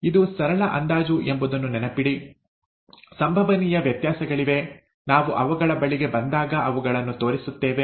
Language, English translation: Kannada, Remember that this is a simple approximation, there are variations possible, we will point them out when we come to them